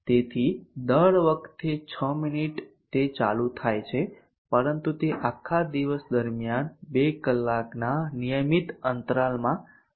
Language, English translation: Gujarati, So 6minutes every time it is switched on but it is switched on at regular intervals of 2 hours throughout the entire day